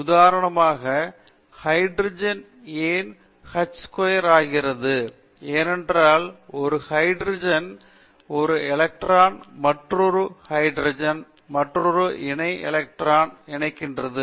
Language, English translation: Tamil, For example, why hydrogen is present as h2, that is because of the one s electron of one hydrogen combines with another one s electron of another hydrogen making a covalent bond